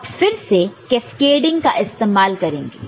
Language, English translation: Hindi, Now, here again we shall be using cascading right